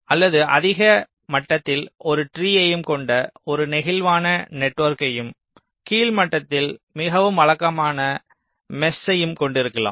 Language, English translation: Tamil, or you can have a more flexible network consisting of a tree at the higher level and a very regular mesh at the lower level